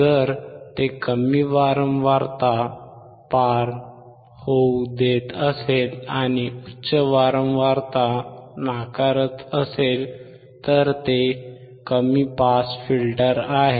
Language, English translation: Marathi, If it is allowing the low frequency to pass and it rejects high pass, then it is low pass filter